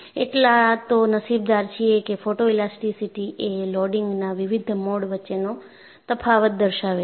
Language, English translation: Gujarati, In fact, it is so fortuitous that photo elasticity has shown difference between different modes of loading